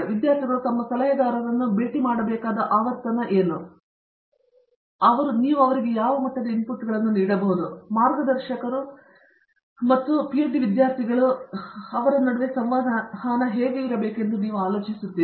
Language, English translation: Kannada, What do you think is a frequency with which students should meet their advisers and what can you give some input into the kind of interaction that guide and a student should have through the course their PhD